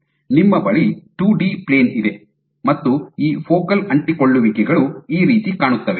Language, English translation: Kannada, So, you have a 2D plane and these focal adhesions would look like this